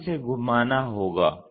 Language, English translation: Hindi, Now, this has to be rotated